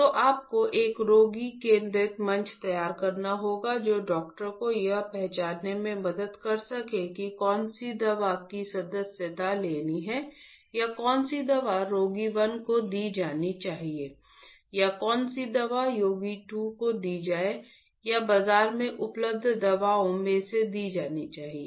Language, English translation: Hindi, So, you have to design a patient centric platform that can help the doctor to identify which drug to subscribe or which drug patient 1 should be given or which drug patient 2 should be given out of given or available drugs in the market